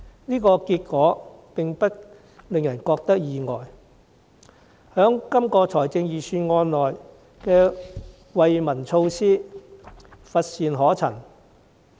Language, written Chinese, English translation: Cantonese, 這樣的結果並不令人感到意外，這份預算案中的惠民措施乏善可陳。, The result is not surprising for the relief measures proposed in the Budget are nothing to write about